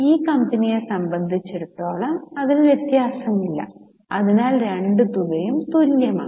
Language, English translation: Malayalam, For this company there is no difference in that so both the amounts are same